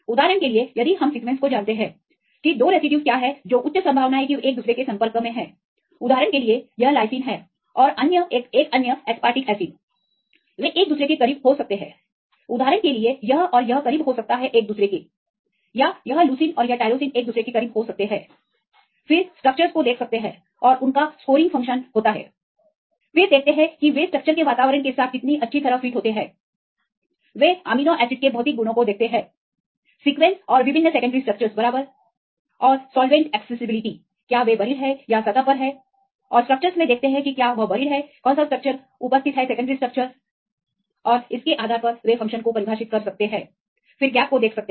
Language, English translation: Hindi, For example, if we know the sequence what are 2 residues which are high possibility that they are in contact with each other for example, this lysine and another aspartic acid they can be close to each other, for example this and this can be close to each other or this leucine and this tyrosine can be close to each other, then see the structures and they have the scoring function on the second one they see how well they fit with the structure environment they see a physicochemical properties of amino acids right in the sequence and different secondary structures right and the solvent accessibility whether they are buried are they exposed and look into the structures whether it is buried or exposed as same secondary structures and based on that they can define the function then see the gaps